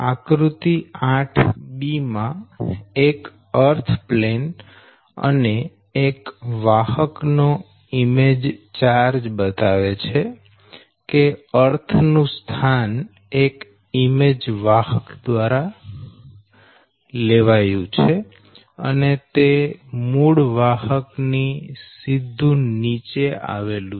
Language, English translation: Gujarati, figure eight b, that means this one earth plane and image charge of one conductor shows that the earth is replaced by image conductor lies directly below the original conductor, right